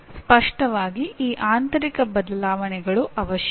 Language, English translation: Kannada, These internal changes are obviously necessary